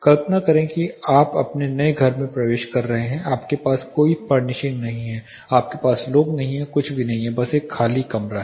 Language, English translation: Hindi, Imagine you are entering into your new house you do not have any furnishing, you do not have people staying nothing is where just an empty room